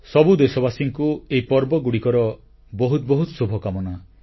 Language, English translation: Odia, Felicitations to all of you on the occasion of these festivals